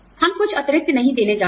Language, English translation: Hindi, We are not going to give, any bonuses